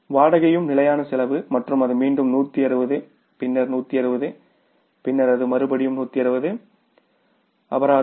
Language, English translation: Tamil, Rent is also the fixed cost and it is again 160 then it is 160 and then it is 160 fine